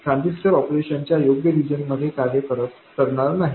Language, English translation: Marathi, The transistor will not be operating in the correct region of operation